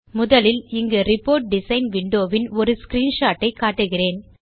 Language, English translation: Tamil, Before we move on, here is a screenshot of the Report design window